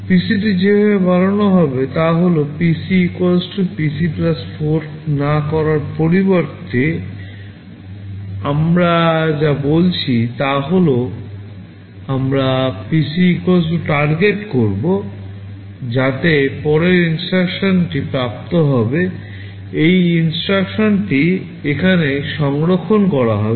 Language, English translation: Bengali, The way PC will be incremented is that instead of doing PC = PC + 4, what we are saying is that we will be doing PC = Target, so that the next instruction that will be fetched will be this instruction which is stored here